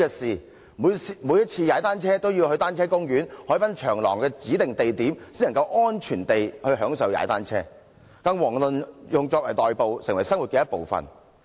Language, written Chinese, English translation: Cantonese, 市民每次踏單車也要到單車公園或海濱長廊的指定地點，才能安全地享受踏單車，遑論作為代步工具，成為生活的一部分。, People have to cycle in designated areas along promenades or bicycle parks to safely enjoy the fun of cycling let alone using bicycles as a means of commute and treating cycling as part of life